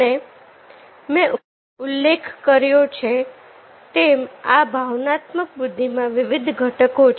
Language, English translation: Gujarati, and this emotional intelligence, as i mentioned that it has different components